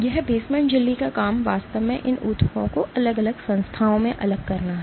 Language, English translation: Hindi, It basement membranes job is actually to segregate these tissues into separate entities